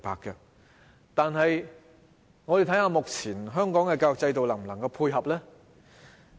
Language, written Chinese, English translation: Cantonese, 然而，我們看看香港目前的教育制度能否配合呢？, However let us take a look at the present education system . Can it cope with this?